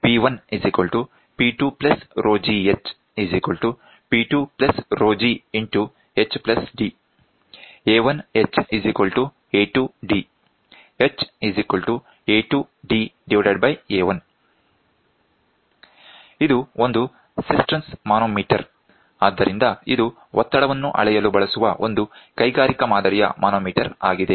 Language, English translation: Kannada, This is a Cisterns manometer so, this is also it is an industrial type manometer used to measure the pressure